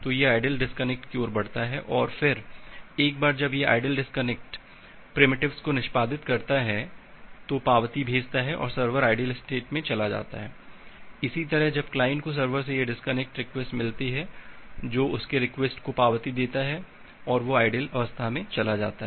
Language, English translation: Hindi, So, it moves to the passive disconnection then once it execute the disconnect primitives, send the acknowledgement, the server moves to the idle state; similarly when the client receive this disconnection request from the server that gives an acknowledgement to its request, it moves to the idle state